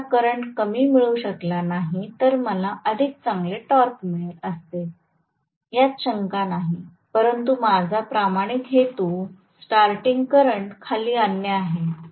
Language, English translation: Marathi, The same thing if I am not able to bring down the current I would have gotten better torque, no doubt, but my soul purposes to bring down starting current as well